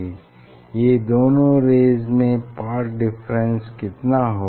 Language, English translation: Hindi, What is the path difference between these two ray